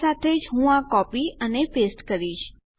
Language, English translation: Gujarati, Ill just copy paste this along